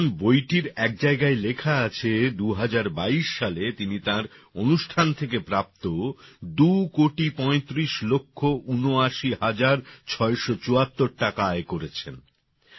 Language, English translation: Bengali, As it is written at one place in the book, in 2022, he earned two crore thirty five lakh eighty nine thousand six hundred seventy four rupees from his programs